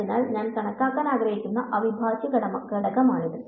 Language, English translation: Malayalam, So, this is the integral that I want to calculate